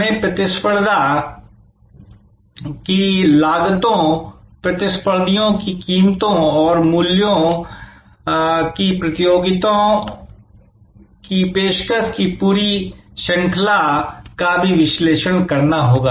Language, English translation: Hindi, We also have to analyze the competitors costs, competitors prices and the entire range of offering from the competitors